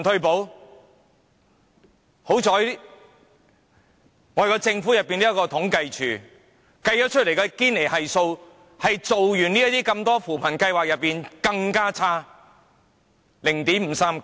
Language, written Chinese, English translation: Cantonese, 幸好還有政府統計處，它計算出堅尼系數在推行那麼多扶貧計劃後反而變得更差，達至 0.539。, Fortunately we have the Census and Statistics Department . It finds that the Gini Coefficient after taking into account the effect of various poverty relief measures is 0.539 which is worse than before